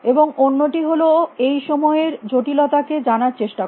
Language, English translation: Bengali, And the other is to tried address this time complexity